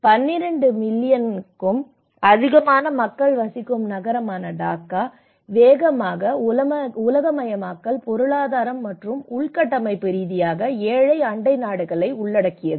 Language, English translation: Tamil, Dhaka, the city of more than 12 million people is encompassing both rapidly globalizing economy and infrastructurally poor neighbourhoods